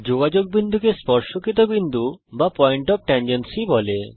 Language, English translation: Bengali, The point of contact is called point of tangency